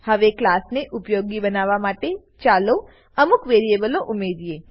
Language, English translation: Gujarati, Now let us make the class useful by adding some variables